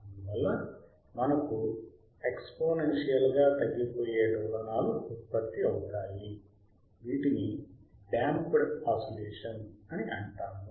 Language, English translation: Telugu, Hence actually we get an exponential decay right of oscillations called damped oscillator